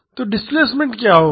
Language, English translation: Hindi, So, what would be the displacement